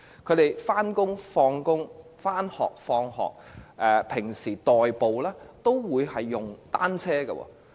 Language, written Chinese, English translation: Cantonese, 不論是上班或下班、上學或放學，又或平時代步，他們都會使用單車。, Bicycles are simply used by them to commute between their homes and workplaces or schools or for daily commuting purposes